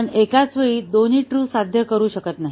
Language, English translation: Marathi, We cannot have both true achieved at the same time